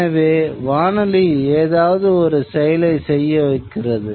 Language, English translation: Tamil, So the radio kept a certain activity on